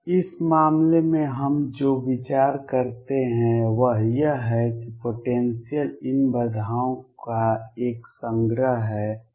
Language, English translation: Hindi, What we consider in this case is that the potential is a collection of these barriers